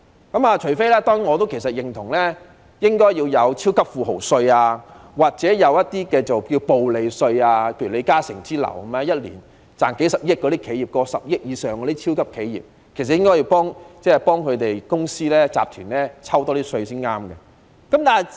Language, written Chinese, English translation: Cantonese, 當然，我認同應該徵收"超級富豪稅"或"暴利稅"，例如李嘉誠擁有一年賺取數十億元以上的超級企業，其實政府應該向這些公司或集團多徵一點稅才正確。, Of course I acknowledge that a tax on the super - rich or windfall profit tax should be introduced . For instance Mr LI Ka - shing is in possession of a mega enterprise which is earning a few billion dollars a year . The Government should actually collect a bit more taxes from these companies or corporations